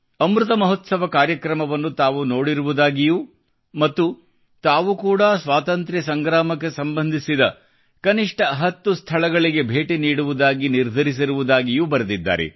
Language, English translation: Kannada, He has written that he watched programmes on Amrit Mahotsav and decided that he would visit at least ten places connected with the Freedom Struggle